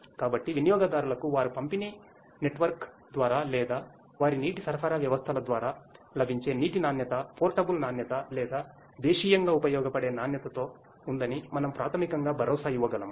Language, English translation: Telugu, So, we can basically make the consumers assure that the water quality they are getting through their distribution network or through their water supply systems are of the portable quality or domestically usable quality